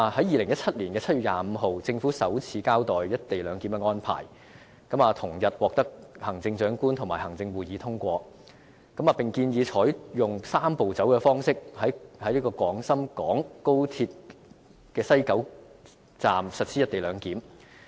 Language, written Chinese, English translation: Cantonese, 2017年7月25日，政府首次交代"一地兩檢"的安排，同日獲行政長官會同行會通過，並建議採用"三步走"的方式於西九龍高鐵站實施"一地兩檢"。, The Government delivered its first explanation on the co - location arrangement on 25 July 2017 . On the same day the Chief Executive - in - Council endorsed the arrangement and suggested that the co - location arrangement could be implemented at West Kowloon Station through the Three - step Process